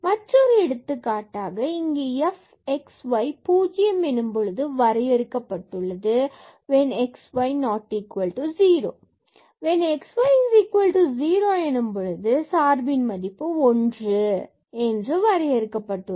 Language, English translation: Tamil, Another example here that f x y is defined at 0 when x y not equal to 0 and when x y the product is 0 then this function is 1